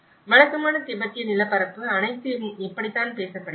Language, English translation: Tamil, This is how the typical Tibetan landscape is all talked about